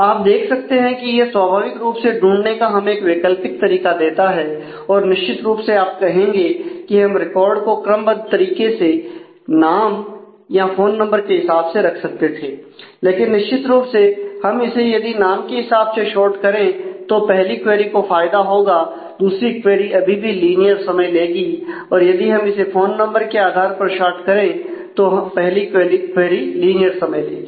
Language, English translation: Hindi, So, you can see that naturally this gives us a alternate way of finding out and certainly you would say that we could have kept the record sorted on name or on phone number, but certainly if we keep it sorted on name the first query we will get benefited the second query will still take a linear time if we get keep it sorted by phone number the first query will take a linear time